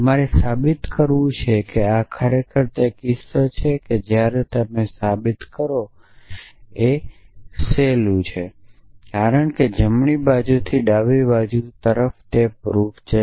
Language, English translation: Gujarati, So, you must prove that this is indeed the cases once you prove this it is easy to prove this, because from the right hand side to the left hand side